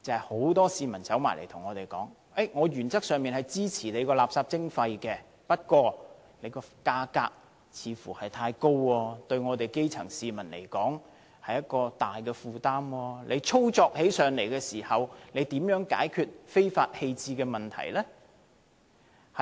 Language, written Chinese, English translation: Cantonese, 很多市民告訴我們，他們原則上支持垃圾徵費，但收費似乎太高，對基層市民而言是沉重負擔，而且操作時如何解決非法棄置廢物的問題？, Many members of the public told me that they supported waste charging in principle but the excessively high charges would exert a heavy burden on the grass roots and they also wondered how the Government would deal with the problem of illegal waste disposal